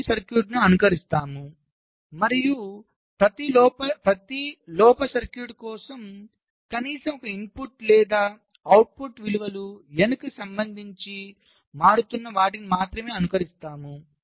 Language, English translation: Telugu, so we simulate the good circuit and for every faulty circuit you simulate only those for which at least one of the input or output values are changing with respect to n